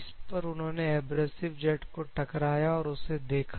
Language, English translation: Hindi, Just they have impinged with the abrasive jet and they observe it